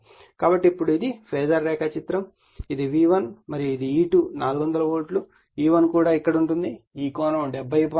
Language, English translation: Telugu, So, now this is the phasor diagram, this is your V1 and this is your E2 = 400 volts, E1 is also here and this angle is 70